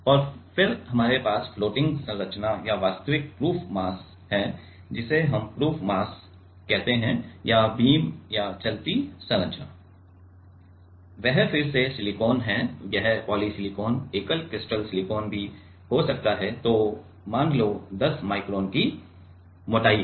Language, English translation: Hindi, And, then we have the floating structure or actual proof mass, which we call proof mass is the or the beam or the moving structure, that is again silicon this can be polysilicon also single crystal silicon, and it is it is said 10 micron of thickness ok